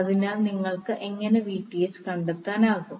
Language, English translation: Malayalam, So, how will you able to find out the Vth